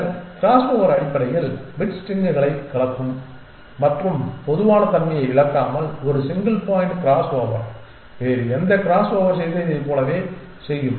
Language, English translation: Tamil, Then crossover essentially will mix up bit strings essentially and without loss of generality a single point crossover will do like any other crossover might have done